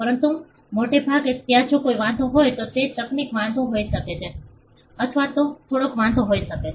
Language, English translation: Gujarati, But most likely there are if there are any objections either it could be technical objections, or it could be some substantial objection